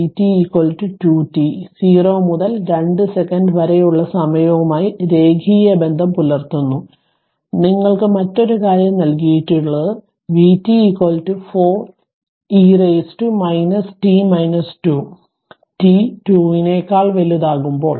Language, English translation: Malayalam, And when vt is equal to 2 t that will linear relationship with time in between 0 and 2 second right and your another thing is given that vt is equal to 4 into e to the power minus t minus 2, when t greater than 2